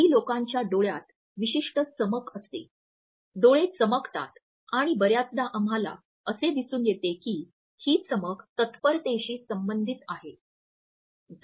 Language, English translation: Marathi, Some people have a particular sparkle in their eyes; the eyes shine and often we find that the shine or a sparkle is associated with the level of preparedness